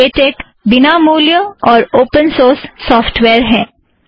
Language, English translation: Hindi, Latex is free and open source